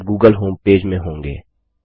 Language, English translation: Hindi, You will now be in the google homepage